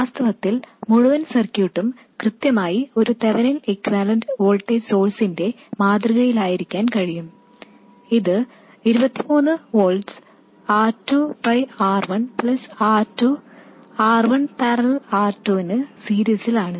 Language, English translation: Malayalam, In fact, the entire circuit can be modeled exactly as a feminine equivalent voltage source which is 23 volts R2 by R1 plus R2 in series with R1 parallel R2